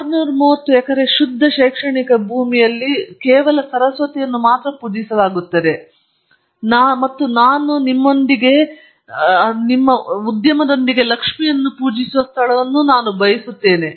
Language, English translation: Kannada, I said 630 acres of pure academic land where only Saraswati will be worshiped, and I want a place where I will worship Lakshmi along with you and with the industry